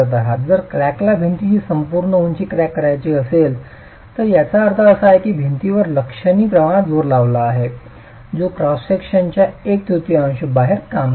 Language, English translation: Marathi, If the crack has to, if the entire height of the wall has to crack, it means a significant amount of the wall has thrust which is acting outside the middle one third of the cross section